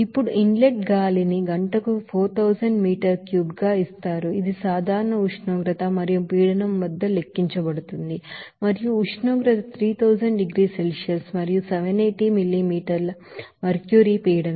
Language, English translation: Telugu, Now inlet air is given as 4000 meter cube per hour that is measured at normal temperature and pressure and temperature is 300 degrees Celsius and 780 millimeter mercury of pressure